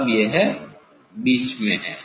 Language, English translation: Hindi, Now, it is in middle